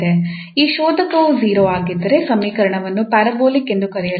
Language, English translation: Kannada, Here it is 0 so this equation falls into the class of parabolic equation